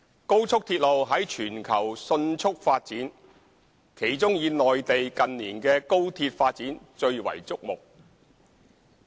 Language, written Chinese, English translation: Cantonese, 高速鐵路在全球迅速發展，其中以內地近年的高鐵發展最為矚目。, High - speed rail has been developing rapidly throughout the world and the development on the Mainland in this area has been particularly remarkable in recent years